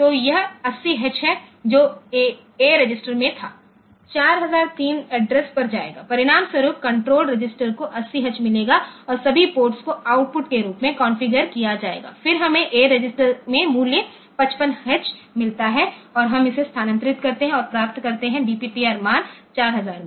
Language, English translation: Hindi, So, this 80H which was there in a register will go to the address 4003 as a result the control register will get 80 and all ports will be configured as output, then we get the value 55H into the a register and we move that and get in the DPTR value 4000